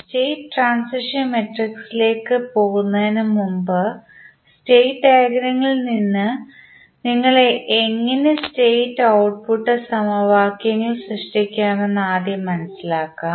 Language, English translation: Malayalam, So, before going into the state transition matrix, let us first understand how you will create the state and output equations from the state diagram